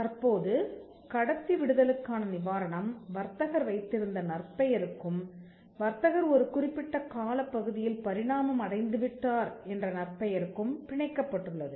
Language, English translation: Tamil, Now, the relief of passing off was tied to the reputation that, the trader had and to the goodwill that, the trader had evolved over a period of time